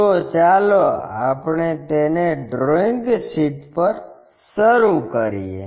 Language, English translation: Gujarati, So, let us begin that on our drawing sheet